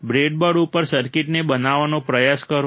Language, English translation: Gujarati, Try to implement the circuit on the breadboard